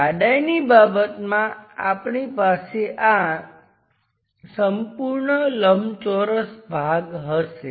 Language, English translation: Gujarati, In terms of thickness, we will have this continuous rectangular portion